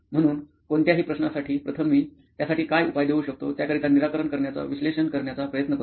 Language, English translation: Marathi, So for any question, first I try to analyze what the solution to give for that, solution for it